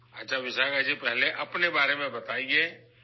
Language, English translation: Urdu, WellVishakha ji, first tell us about yourself